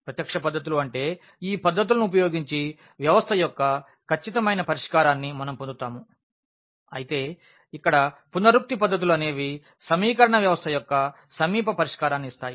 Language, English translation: Telugu, The direct methods meaning that we get actually the exact solution of the system using these techniques whereas, here the iterative methods the they give us the approximate solution of the given system of equation